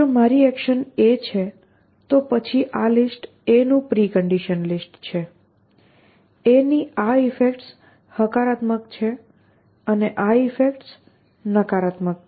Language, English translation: Gujarati, So, if my action is a then this list is the precondition list of a, this is the effects positive of a and this is effects negative of a